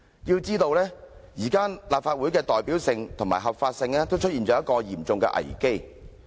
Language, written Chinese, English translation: Cantonese, 須知道，現時立法會的代表性和合法性出現了嚴重危機。, It must be noted that there is now a serious crisis concerning the representativeness and legality of the Legislative Council